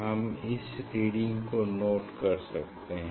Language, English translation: Hindi, one can note down this reading